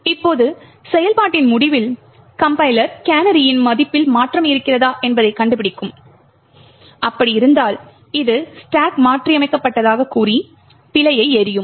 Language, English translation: Tamil, Now at the end of the function the compiler would detect that there is a change in the canary value that is it would throw an error that and that it will throw an error stating that the stack has been modified